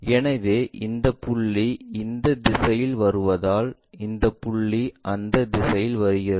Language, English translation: Tamil, So, that this point comes this direction this point comes in that direction this one goes there